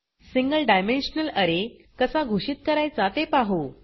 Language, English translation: Marathi, Let us see how to declare single dimensional array